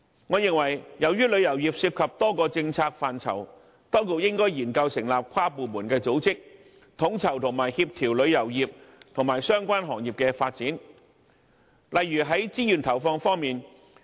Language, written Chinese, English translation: Cantonese, 我認為由於旅遊業涉及多個政策範疇，當局應該研究成立跨部門組織，以便統籌和協調旅遊業及相關行業的發展，例如在資源投放方面。, As the tourism industry is related to a number of policy areas I think the authorities should consider the establishment of an inter - departmental body to oversee and coordinate the development of tourism industry and other related industries such as in respect of resource allocation